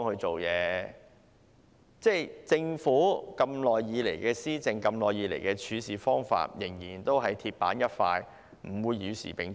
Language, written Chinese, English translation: Cantonese, 政府多年來的施政和處事方法仍是鐵板一塊，不會與時並進。, Over the years the Government remains unchanged in the way it implements policies and handles issues refusing to keep up with the times